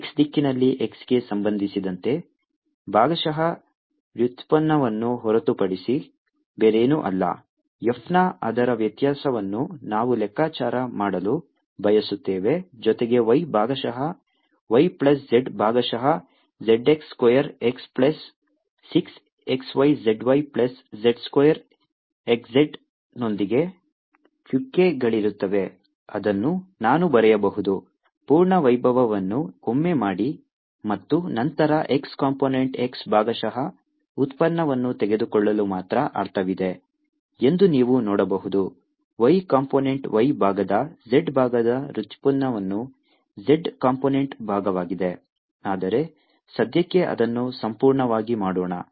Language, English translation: Kannada, its divergence of f, which is nothing but partial derivative with respect to x in the x direction, plus y, partial y, plus z, partial z, dotted with x square x, plus six x, y, z, y plus z square x z, which i can write as i'll do it once in full glory, and then you can see that it makes sense only to take the x partial derivative of x component, y partial derivative of y component, z partial derivative of z component, but let's do it fully for the time being